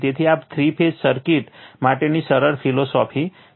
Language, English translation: Gujarati, So, this is the simple philosophy for three phase circuit